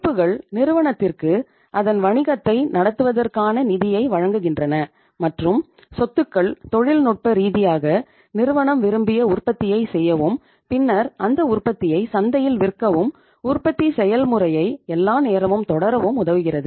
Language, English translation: Tamil, Liabilities provide the funds to the firm for running its business, for running its show and assets are technically the properties of the firm which help the firm to go for the desired production, then selling that production in the market and then continuing the production process all the times